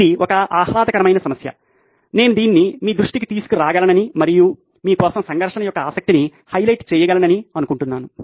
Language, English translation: Telugu, This is a fun problem that was there I thought I could bring this to your attention and actually highlight the conflict of interest for you